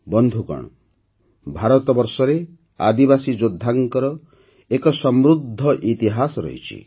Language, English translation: Odia, Friends, India has a rich history of tribal warriors